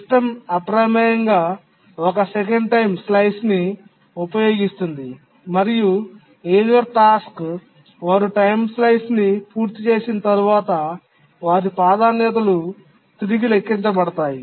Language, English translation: Telugu, And the system by default uses a one second time slice and the tasks after the complete their time slice, the user tasks once they complete their time slice, the priorities are recomputed